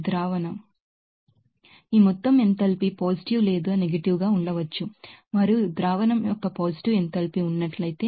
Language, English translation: Telugu, Now, this total enthalpy can be either Positive or negative, and if there is a positive enthalpy of solution results